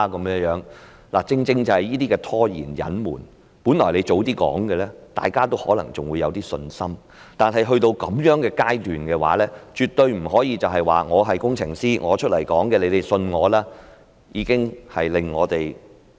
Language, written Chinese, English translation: Cantonese, 問題正正是這些拖延和隱瞞，本來如果早一點把問題說出來，大家還可能會有一點信心，但到了這樣的階段，絕對不可以說："我是工程師，你們要相信我出來說的話"。, The problem precisely lies in all the stalling and cover - ups . If they could make known these problems earlier the public might probably still have some confidence but when things have come to this pass it is absolutely unacceptable to say I am an engineer so you have to believe what I said